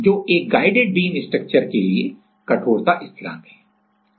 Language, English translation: Hindi, So that is the stiffness constant for a guided beam structure